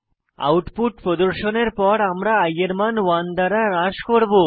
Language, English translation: Bengali, After the output is displayed, we decrement the value of i by 1